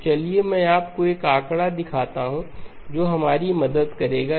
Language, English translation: Hindi, So let me show you a figure that will help us